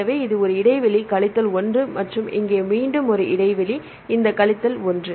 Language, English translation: Tamil, So, minus 1 this is a gap minus 1 and here again a gap this minus 1